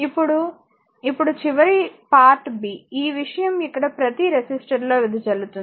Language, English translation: Telugu, Now, now last b part is your part b, this thing the power dissipated in each resistor here